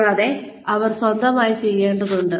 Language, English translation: Malayalam, And, they need to do this, on their own